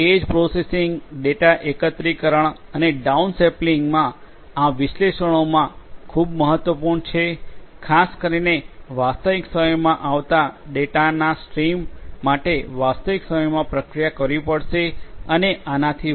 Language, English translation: Gujarati, Edge processing, data aggregation, and down sampling these are very important in analytics particularly for streams of data coming in real time will have to be processed in real time and so on